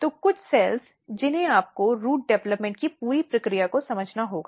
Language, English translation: Hindi, So, few cells which you have to understand very early to understand the entire process of root development